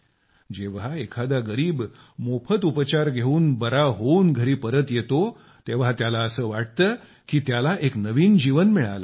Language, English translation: Marathi, When the poor come home healthy with free treatment, they feel that they have got a new life